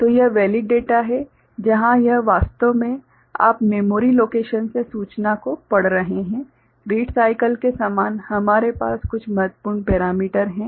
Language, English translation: Hindi, So, this is the valid data where this actually you are reading the information from the memory location right, similar to read cycle we have some of these important parameters right